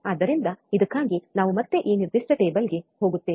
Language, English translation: Kannada, So, for this again we go back to we go to the the this particular table, right